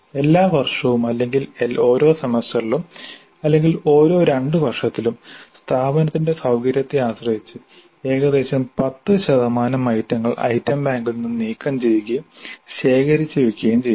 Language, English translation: Malayalam, Every year or every semester or every two years depending upon the convenience of the institute, about 10% of the items can be archived, removed from the item bank and archived